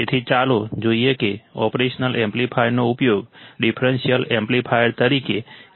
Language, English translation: Gujarati, So, let us see how the operational amplifier can be used as a differential amplifier